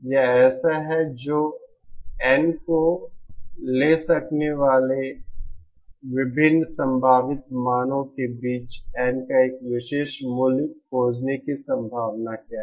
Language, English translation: Hindi, This is like, what is the probability of finding a particular value of N among the various possible values that N can take